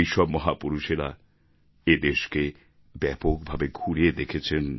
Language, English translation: Bengali, All these great men travelled widely in India